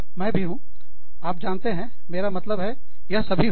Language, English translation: Hindi, I am also, you know, it is, i mean, all of these things